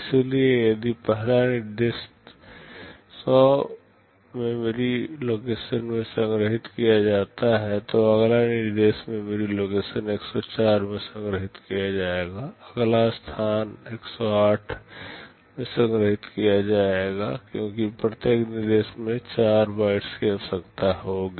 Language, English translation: Hindi, So, if the first instruction is stored in memory location 100 the next instruction will be stored in memory location 104, next location will be stored in location 108, because each instruction will be requiring 4 bytes